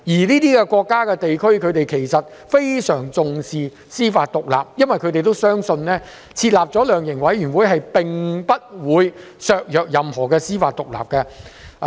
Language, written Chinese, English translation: Cantonese, 這些國家和地區非常重視司法獨立，因為他們相信設立量刑委員會並不會削弱任何司法獨立。, These countries and regions attach great importance to judicial independence and they believe the setting up of a sentencing commission or council will not compromise judicial independence